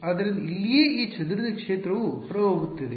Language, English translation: Kannada, So, exactly this scattered field is outgoing right